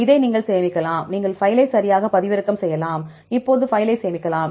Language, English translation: Tamil, And you can save this right, you can download the file right, you can save the file now